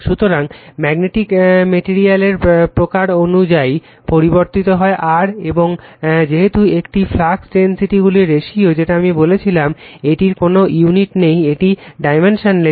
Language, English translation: Bengali, So, mu r varies with the type of magnetic material, and since it is a ratio of flux densities I told you, it has no unit, it is a dimensionless